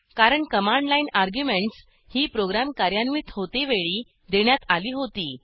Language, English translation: Marathi, This is because the command line arguments are given during execution